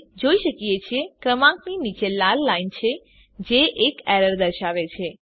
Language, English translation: Gujarati, As we can see, there is a red line below the number which indicates an error